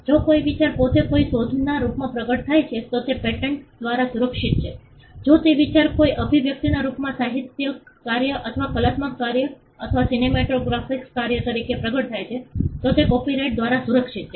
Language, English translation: Gujarati, If an idea manifests itself in the form of an invention then that is protected by a patent, if the idea manifest itself in the form of an expression a literary work or an artistic work or a cinematographic work then that is protected by a copyright